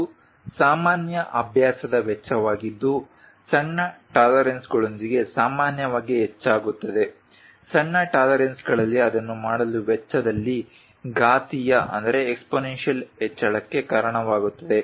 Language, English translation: Kannada, Its a common practice cost generally increases with smaller tolerances small tolerances cause an exponential increase in cost to make it